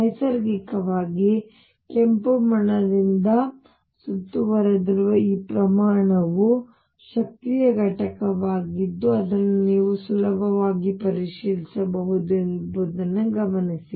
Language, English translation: Kannada, Notice that naturally this quantity which I am encircling by red is unit of energy you can easily check that